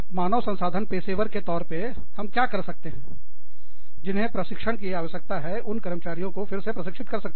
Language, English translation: Hindi, As, HR professionals, what we can do is, again, train employees, who need training